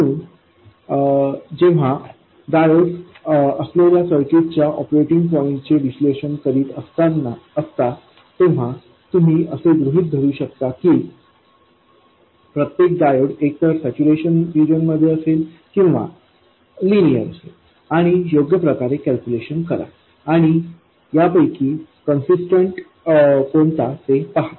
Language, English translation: Marathi, So when you are analyzing the operating point of a circuit with diodes, you have to assume that each diode was either in saturation or linear and work out the calculations and see which is consistent